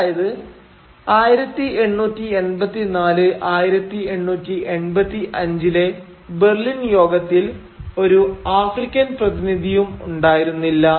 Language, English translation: Malayalam, So no single African person was present during the Berlin Conference of 1884 1885